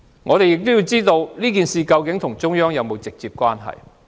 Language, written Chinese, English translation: Cantonese, 我們也想知道這事件與中央有否直接關係。, We also want to know whether this incident is directly related to the Central Authorities